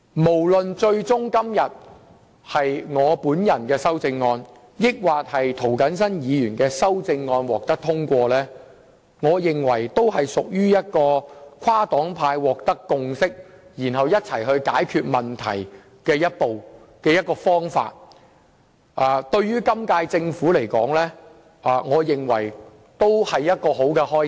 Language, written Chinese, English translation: Cantonese, 不論最終是我還是涂謹申議員的修正案獲得通過，我認為也是跨黨派取得共識和共同解決問題的重要一步，對今屆政府而言也是一個好開始。, Regardless of whether Mr James TOs or my CSAs will be passed in the end in my opinion an important step has already been taken across political parties and groupings to reach a consensus and resolve the problems together which has also marked a good beginning for the Government of this term